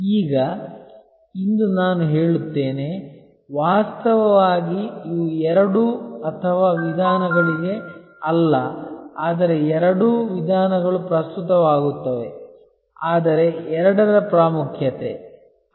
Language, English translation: Kannada, Now, today I would say that actually these are not to either or approaches, but rather both approaches will be relevant, but the importance of the two